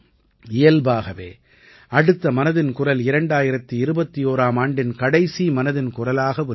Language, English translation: Tamil, It is natural that the next 'Mann Ki Baat' of 2021 will be the last 'Mann Ki Baat' of this year